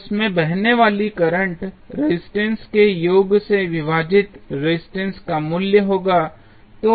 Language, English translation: Hindi, So, the current flowing in this would be the value of resistances divided by the sum of the resistances